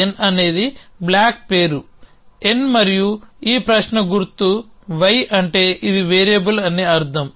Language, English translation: Telugu, So, n is a constants with means the block name is n and this question mark y means it is a variable